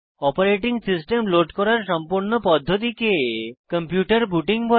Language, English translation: Bengali, The whole process of loading the operating system is called booting the computer